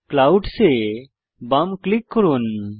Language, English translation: Bengali, Left click Clouds